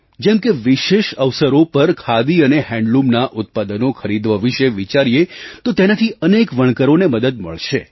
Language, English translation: Gujarati, For example, think of purchasing Khadi and handloom products on special occasions; this will benefit many weavers